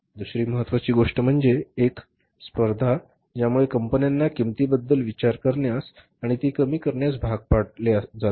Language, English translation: Marathi, Second important thing is, means one is the competition which has forced the companies to think about the cost and reduce it